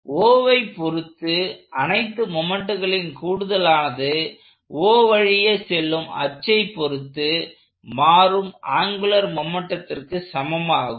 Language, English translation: Tamil, So, we will write it in English, sum of moments about O, so is equal to the rate of change of angular momentum computed about O, an axis through O